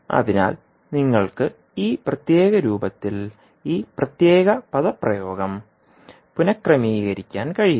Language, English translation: Malayalam, So you can rearrange the this particular expression in this particular form